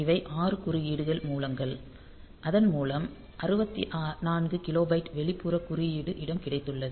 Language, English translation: Tamil, So, these are the 6 interrupt sources that we have then we have got 64 kilobyte of external code space